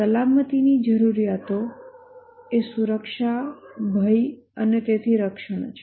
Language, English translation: Gujarati, The safety needs are security, protection from danger and so on